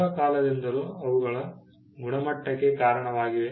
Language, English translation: Kannada, Over a period of time, they came to be attributed to quality